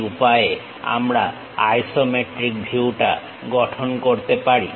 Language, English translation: Bengali, This is the way isometric view we can construct it